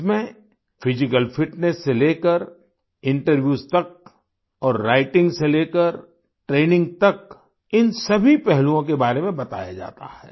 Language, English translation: Hindi, The training touches upon all the aspects from physical fitness to interviews and writing to training